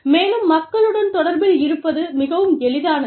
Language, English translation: Tamil, And, it is very easy, to stay connected with people